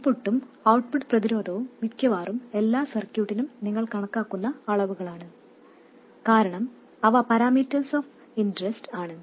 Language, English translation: Malayalam, The input and output resistances are quantities which you calculate for almost every circuit because those are parameters of interest